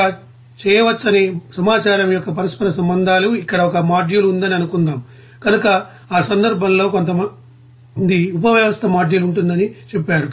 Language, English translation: Telugu, Interconnections of the information how it can be done, suppose there is a module here, so in that case some says subsystem module will be there